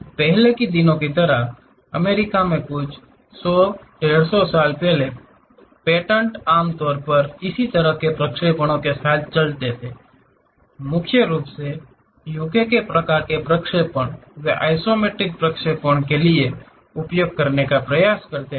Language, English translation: Hindi, Earlier days like some 100, 150 years back, in US the patents usually used to go with this dimetric kind of projections; mainly UK kind of projections, they try to use for isometric projections